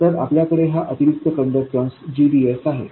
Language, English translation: Marathi, So, we have this additional conductance GDS